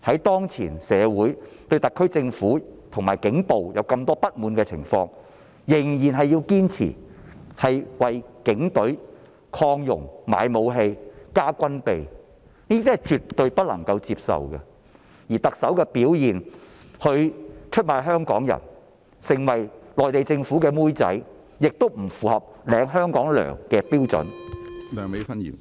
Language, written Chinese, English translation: Cantonese, 當現時社會對特區政府和警暴有這麼多不滿的情況下，預算案仍然堅持為警隊擴容、買武器、加軍備，這是絕對不能接受的，而特首的表現，她出賣香港人，成為內地政府的"妹仔"，亦不符合受薪於香港的標準。, Under the current situation when there are so many grievances against the SAR Government and police brutality the Budget still insists on expanding the Police Force and providing resources to the Police Force to buy firearms and weapons . This is absolutely unacceptable . As regards the performance of the Chief Executive she is selling out Hong Kong people and becomes a maid of the Mainland Government which means that she cannot live up to the standard of being paid by Hong Kong